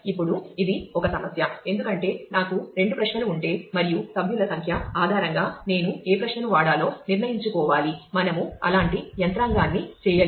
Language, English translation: Telugu, Now, it is a problem because if I have two possible queries and based on the member number I have to decide which query to fire we have not done any mechanism like that